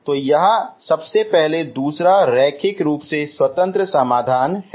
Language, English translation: Hindi, So this is your second linearly independent solution